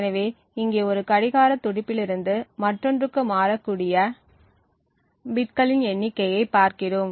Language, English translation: Tamil, So here we actually look at the number of bits that toggle from one clock pulse to another